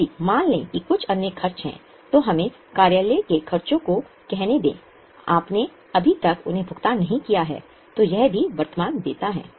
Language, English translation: Hindi, If suppose there are some other expenses, let us say office expenses, you have not yet paid them, then that is also a current liability